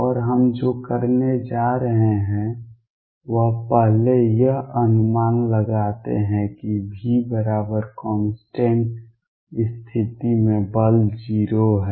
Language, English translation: Hindi, And what we are going to do is first anticipate that in v equals constant case a force is 0